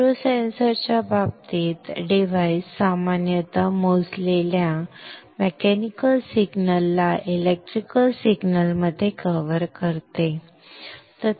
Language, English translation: Marathi, In the case of micro sensors the device typically covers a measured mechanical signal into a electrical signal